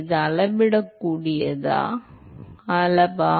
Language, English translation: Tamil, Is it a measurable quantity